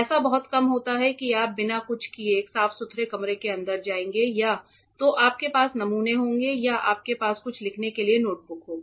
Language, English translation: Hindi, It is very rare that you want you will go inside a cleanroom without carrying anything either you will have samples or you will have some notebook to write down things